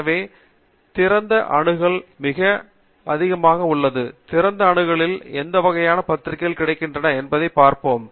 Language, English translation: Tamil, So, open access is very much available and we will see what kind of journals are available under open access